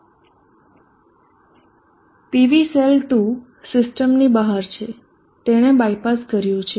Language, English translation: Gujarati, PV cell 2is out of the system it is by pass